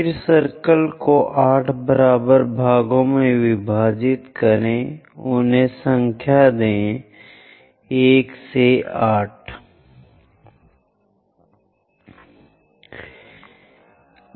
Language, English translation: Hindi, Then divide the circle into 8 equal parts, number them; 1, 2, 3, 4, 5, 6, 7 and 8